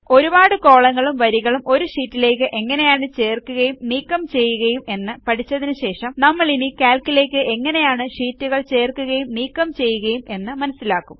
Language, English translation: Malayalam, After learning about how to insert and delete multiple rows and columns in a sheet, we will now learn about how to insert and delete sheets in Calc